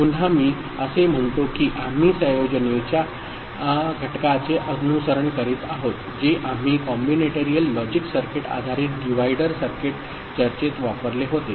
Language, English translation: Marathi, Again I say that we are following the division paradigm that we had used in the combinatorial logic circuit based divider circuit discussion